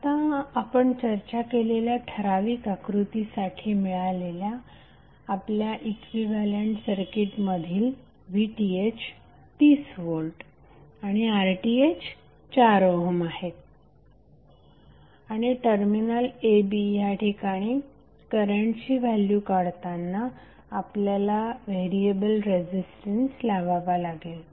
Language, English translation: Marathi, Now your equivalent circuit of the particular figure which we discussed is 30V that VTh and 4 ohm that is RTh and across the terminal a b you will apply variable resistance where you have to find out the value of current, load current for 6 ohm and 36 ohm